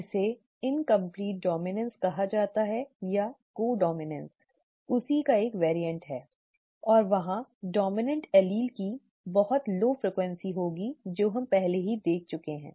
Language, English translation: Hindi, That is called incomplete dominance or co dominance is a variant of that and there could be very low frequency of the dominant allele that we have already seen